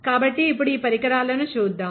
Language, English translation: Telugu, So, let us see the devices now